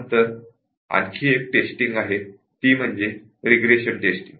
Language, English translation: Marathi, But then there is another level of testing which is Regression testing